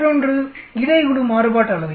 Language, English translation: Tamil, The other one is the between group variance